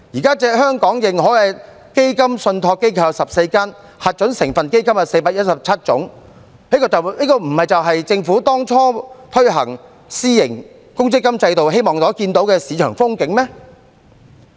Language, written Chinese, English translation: Cantonese, 現時香港認可的基金信託機構有14間，核准成分基金有417種，這不是政府當初推行私營公積金制度所希望看到的市場光景嗎？, At present there are 14 recognized fund trustees and 417 approved constituent funds in Hong Kong . Is it not the market picture that the Government would like to see when rolling out the private provident fund system in the first place?